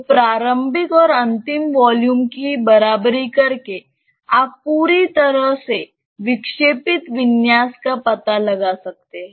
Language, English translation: Hindi, So, by equating the initial and the final volume, you can find out totally the deflected configuration